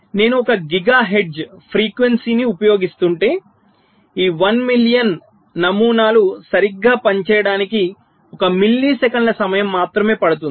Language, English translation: Telugu, right, and say: means, if i use a clock frequency of one gigahertz, then this one million pattern will take only one millisecond of time to have to operate right